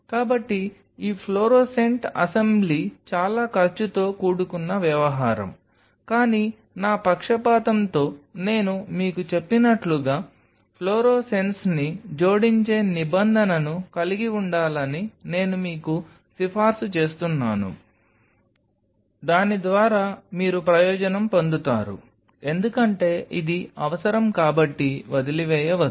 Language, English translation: Telugu, So, this fluorescent assembly is a costly affair, but as I told you with my biasness I will recommend you have a provision for adding fluorescence you will be benefited by it do not leave it because this is needed